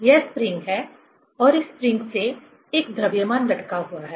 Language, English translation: Hindi, Say, this is the spring and one mass is hanged from this spring